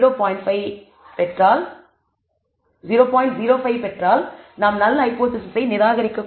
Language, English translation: Tamil, 05 you will not reject the null hypothesis, if you choose 0